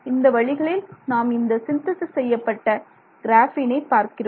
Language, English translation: Tamil, So, these are the ways in which we synthesize graphene